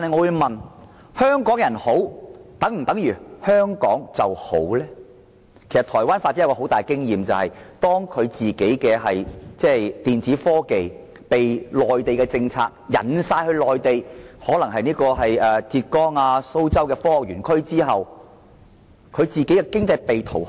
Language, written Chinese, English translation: Cantonese, 由於受到內地政策所吸引，當地的電子科技業都轉往內地發展，例如浙江和蘇州的科學園區，台灣經濟亦因此被掏空。, Lured by the Mainlands policies Taiwans electronic technology industry has shifted to the Mainland such as the science parks in Zhejiang and Suzhou for development . As a result Taiwan has been hollowed out economically